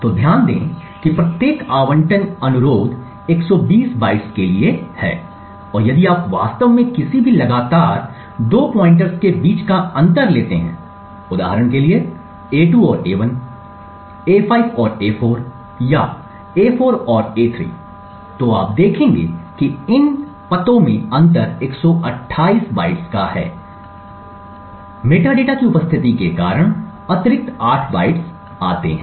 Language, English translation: Hindi, So note that each allocation request is for 120 bytes and if you actually take the difference between any two consecutive pointers, for example a2 and a1, a5 and a4 or a4 and a3 you would see that the difference in these addresses is 128 bytes, the extra 8 bytes comes due to the presence of the metadata